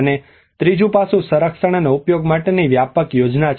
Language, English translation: Gujarati, And the third aspect is the comprehensive plan for conservation and utilization